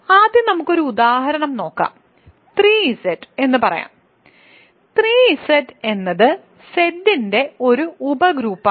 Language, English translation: Malayalam, So, let us first look at just as an example let us say 3 Z; 3 Z is a subgroup of Z